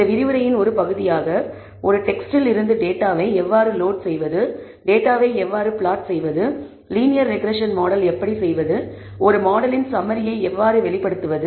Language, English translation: Tamil, As a part of this lecture, we are also going to look at how to load the data from a text le, how to plot the data, how to build a linear regression model and how to interpret the summary of the model